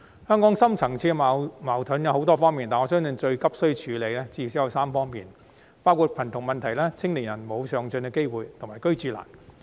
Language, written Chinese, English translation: Cantonese, 香港的深層次矛盾有很多方面，但我相信最急需處理的至少有3方面，包括貧窮問題、青年人沒有上進機會及"居住難"。, Hong Kongs deep - seated conflicts involve a variety of areas but I believe at least three areas require urgent attention namely poverty problem lack of upward mobility opportunities for young people and housing difficulties